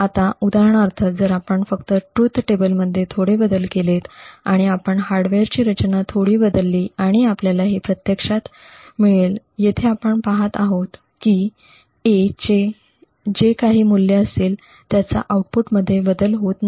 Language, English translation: Marathi, Now for example if we just change the truth table a little bit we change the hardware design a little bit and we actually have this and what we see over here is that independent of the value of A there is no change in the output